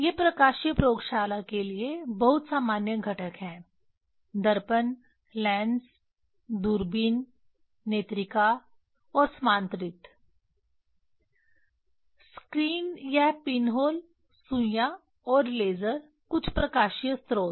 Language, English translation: Hindi, These are the very common components for the optical lab mirrors, lens, telescope, eyepiece, and collimator, screen this pinhole, needles, and laser some optical source